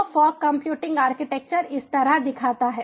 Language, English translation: Hindi, so the fog computing architecture looks like this